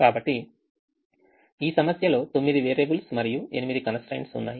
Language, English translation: Telugu, so the problem as nine variables and eight constraints